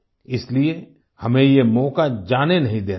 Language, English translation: Hindi, So, we should not let this opportunity pass